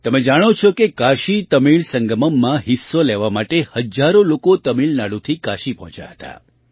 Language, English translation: Gujarati, You know that thousands of people had reached Kashi from Tamil Nadu to participate in the KashiTamil Sangamam